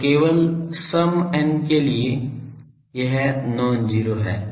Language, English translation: Hindi, So, only for n even this is non zero